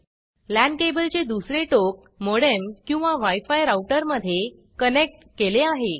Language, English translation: Marathi, The other end of the LAN cable is connected to a modem or a wi fi router